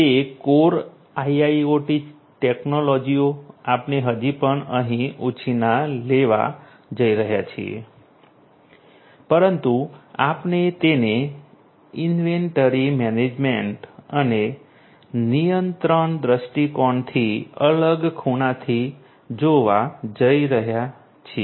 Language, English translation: Gujarati, Those core IIoT technologies we are still going to borrow over here as well, but we are going to reposition it relook at it from the different angle from an inventory management and control viewpoint